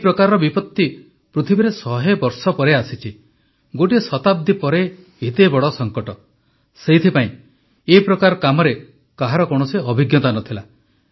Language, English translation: Odia, We have met such a big calamity after a century, therefore, no one had any experience of this kind of work